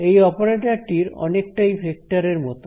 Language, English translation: Bengali, Now this operator over here is very much like a vector